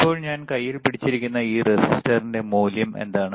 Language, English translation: Malayalam, Now, what is the value of the resistor that I am holding in my hand